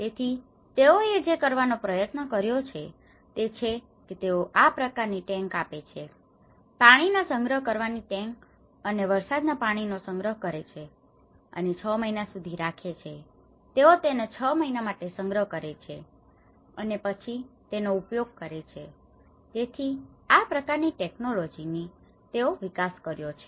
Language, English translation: Gujarati, So, what they tried to do is; so they try to give this kind of tanks; water collection tanks and collecting the rainwater and they keep it for 6 months, they storage it for 6 months and then able to reuse so, this is a kind of technology which they have developed